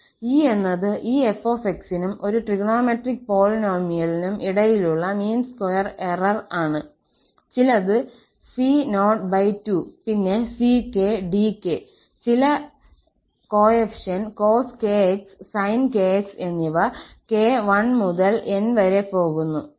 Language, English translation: Malayalam, E is the mean square error between this f and a trigonometric polynomial here, some c0 by 2, then ck and dk, some coefficients cos kx sin kx and k goes from 1 to N